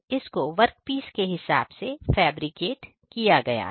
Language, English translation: Hindi, Which has been fabricated as per of the dimension of the workpiece Ok